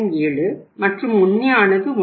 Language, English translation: Tamil, 07 and the actual is 1